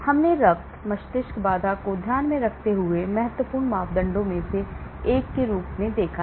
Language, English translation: Hindi, We have looked at blood brain barrier as one of the important parameters to consider